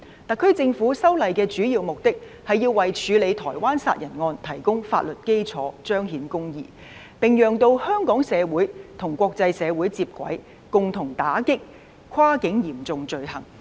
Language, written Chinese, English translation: Cantonese, 特區政府修例的主要目的，是為處理台灣殺人案提供法律基礎，彰顯公義，並讓香港社會與國際社會接軌，共同打擊跨境嚴重罪行。, The main intent of the SAR Government in amending the law was to provide a legal basis for dealing with the murder case in Taiwan in order to see justice done while bringing Hong Kong society on par with the international society in making joint efforts to combat cross - border serious crimes